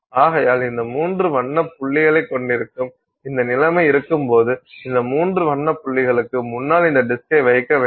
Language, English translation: Tamil, Therefore, when you have this situation here where you have these three colored dots and you keep this disk in front of those three colored dots, you should actually see those dots